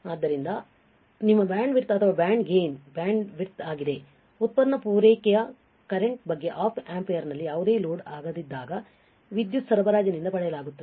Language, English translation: Kannada, So, this is about your band width or band gain bandwidth product supply current the current drawn from the power supply when no load of the, when no load on the Op amp is call your